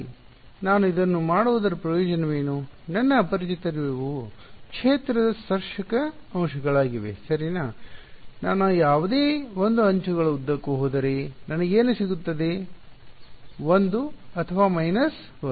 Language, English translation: Kannada, So, I have, so, why does this what is the advantage of doing this my unknowns are the tangential components of the field right, if I go along any 1 of the edges what will I get I will get 1 or minus 1